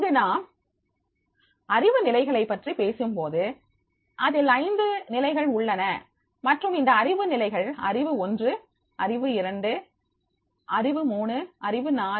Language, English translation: Tamil, Here when we talk about the levels of knowledge there are five levels of knowledge and these knowledge levels are the knowledge one, knowledge two, knowledge three, knowledge four and knowledge five